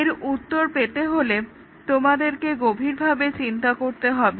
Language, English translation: Bengali, To answer this, you do not have to think very hard